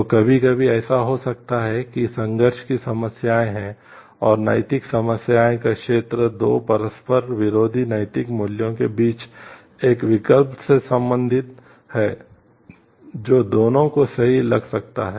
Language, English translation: Hindi, So, sometimes it may so happen there are conflict problems, and area of ethical problem relates to a choice between 2 conflicting moral values which both of them may seem to correct